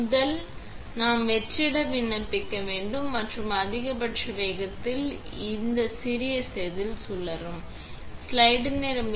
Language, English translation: Tamil, First, we will apply vacuum and we spin this little wafer at the maximum speed